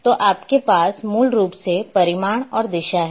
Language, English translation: Hindi, So, you are having basically magnitude and direction